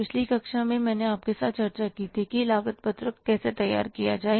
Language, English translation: Hindi, In the previous class I discussed with you that how to prepare the cost sheet